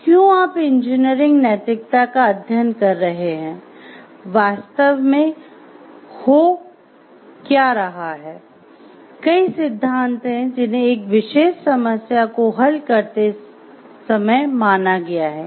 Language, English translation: Hindi, So, why you are studying engineering ethics what is happening there are several theories which will be considered while solving one particular problem